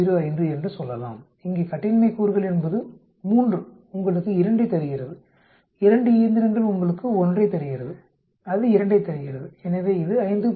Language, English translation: Tamil, 05, the degrees of freedom here is 3 gives you 2, 2 machines gives you 1, that gives 2 so it is 5